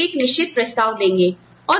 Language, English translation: Hindi, They give them, a certain offer